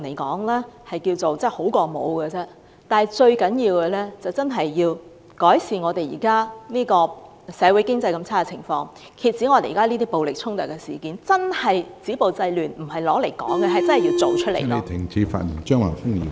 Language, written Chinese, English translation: Cantonese, 最重要的是，政府要真正改善現時社會經濟惡劣的情況，遏止各種暴力衝突事件，真正止暴制亂，切實行動起來而非流於空談。, The most important thing is that the Government should try very hard to improve the very poor social and economic conditions at present put an end to all sorts of violent clashes genuinely stop violence and curb disorder and take concrete actions instead of indulging in empty talk